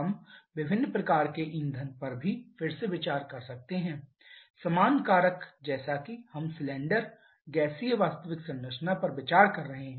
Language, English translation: Hindi, We can also consider a variety of fuel again the same factor as we are considering the actual composition of cylinder gaseous